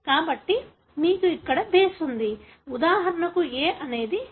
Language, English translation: Telugu, So, you have a base here for example the A is converted into T